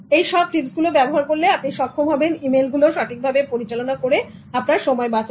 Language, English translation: Bengali, By using these tips, you will be able to save time by managing emails